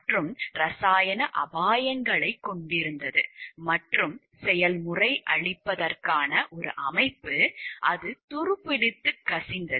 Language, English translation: Tamil, And a system for containing and treating chemical hazards, that was corroded and leaking